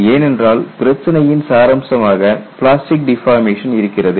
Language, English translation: Tamil, This is because the essence of the problem is the presence of plastic deformation